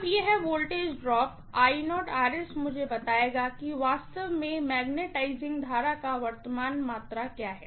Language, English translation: Hindi, Now, this voltage drop I0 times Rs will tell me what is actually the magnetising current quantity